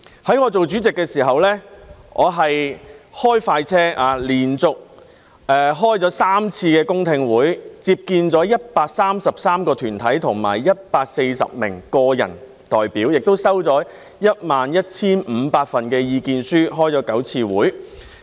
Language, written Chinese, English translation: Cantonese, 在我擔任主席時，我開快車，連續舉行了3次公聽會，接見了133個團體和140名個人代表，也接收了 11,500 份意見書，並舉行了9次會議。, Working on the fast track during my chairmanship I held three consecutive public hearings met with 133 deputations and 140 individuals received 11 500 submissions and held nine meetings